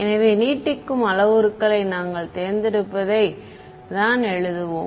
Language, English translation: Tamil, So, let us write down our choice of stretching parameters right